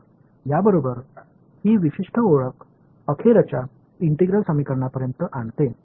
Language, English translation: Marathi, So, with this we can bring this particular introduction to integral equations to end